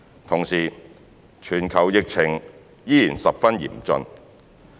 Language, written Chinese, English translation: Cantonese, 同時，全球疫情依然十分嚴峻。, At the same time the global situation remains severe